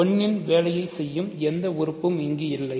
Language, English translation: Tamil, There is no element in the set which functions as 1